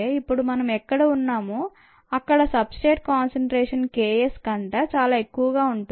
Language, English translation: Telugu, what we are saying is that we are somewhere here were the substrate concentration is much higher than k s